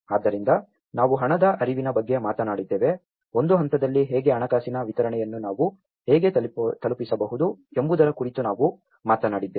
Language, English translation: Kannada, So, we talked about the cash flows, we talked about how at a stage wise, how we can deliver the financial disbursement